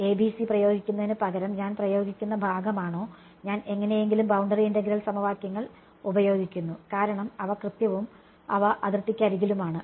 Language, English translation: Malayalam, Is the part which instead of applying a ABC I apply, I somehow use the boundary integral equations, because they are exact and they are along the boundary